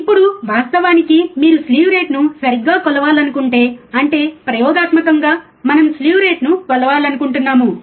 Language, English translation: Telugu, Now, in reality if you want measure slew rate right; that means, experimentally we want to measure slew rate